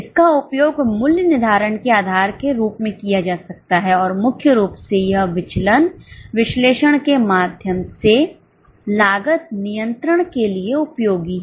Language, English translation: Hindi, It may be used as a basis for price fixing and primarily it is useful for cost control through variance analysis